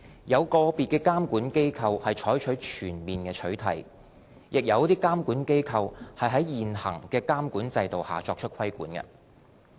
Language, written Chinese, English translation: Cantonese, 有個別監管機構採取全面取締，亦有監管機構在現行的監管制度下作出規管。, Some regulators impose a ban while other regulators leverage on existing regimes to regulate